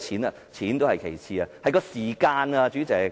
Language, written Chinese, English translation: Cantonese, 金錢也是其次，時間反而最重要。, Money is secondary the time factor is more important